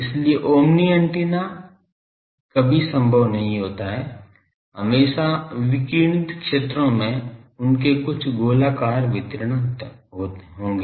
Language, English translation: Hindi, So, omni antenna is never possible always the radiated fields they will have some spherical distribution